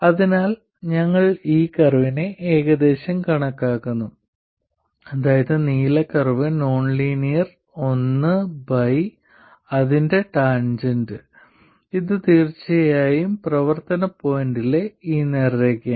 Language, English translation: Malayalam, So, we are approximating this curve which is this blue curve, the nonlinear one, by its tangent which is of course a straight line at the operating point